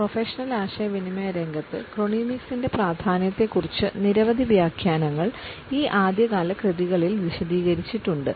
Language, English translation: Malayalam, Since these early works, we find that a number of works and commentaries have come out on the significance of chronemics in the field of professional communication